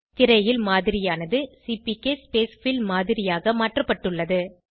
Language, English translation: Tamil, The model on the screen is converted to CPK Spacefill model